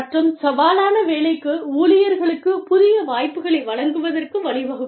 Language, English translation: Tamil, And, providing employees with new opportunities, for challenging work